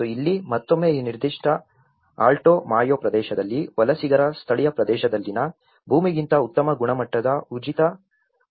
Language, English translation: Kannada, And here, again in this particular Alto Mayo region, there is an existence in the area of free land of a better quality than the land in the migrant’s native area